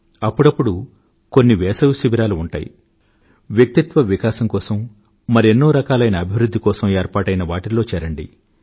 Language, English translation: Telugu, Sometimes there are summer camps, for development of different facets of your personality